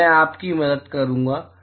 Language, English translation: Hindi, So, I will help you